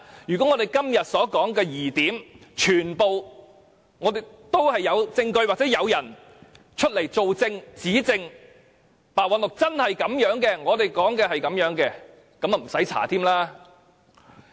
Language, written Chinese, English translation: Cantonese, 如果就我們今天提出的所有疑點，能找到證據支持或有人指證，證明白韞六的做法真的一如我們所說，那便不用調查了。, It would not be necessary to carry out any investigation if there are supporting evidence or witnesses to clear all queries raised today and prove that Simon PEH has really mishandled the incident as we have suggested